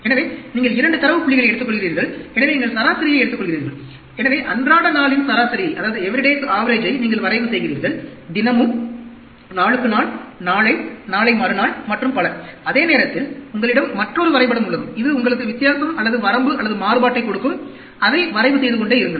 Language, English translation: Tamil, So, you take 2 data points; so, you take the average, so everyday’s average you plot, everyday, day to day, tomorrow, day after, and so on, and the same time, you have another graph which gives you the difference, or the range, or the variability and keep on plotting that